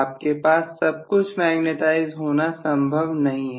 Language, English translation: Hindi, You cannot have everything to be magnetized it is not possible, right